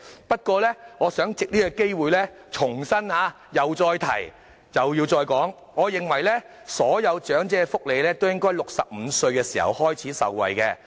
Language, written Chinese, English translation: Cantonese, 我亦想藉此機會重申，我認為所有長者均應在65歲開始享受長者福利。, I would also like to take this opportunity to reiterate my view that old people should enjoy elderly welfare from the age of 65